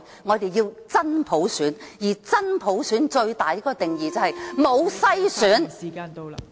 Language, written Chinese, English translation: Cantonese, 我們要真普選，而真普選最大的定義就是沒有篩選......, We want a genuine universal suffrage and an integral part of genuine universal suffrage is no screening